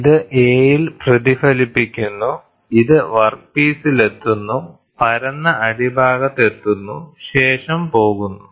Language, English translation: Malayalam, So, this reflects at a, this reflects reaches the workpiece, reaches the flat bottom side and goes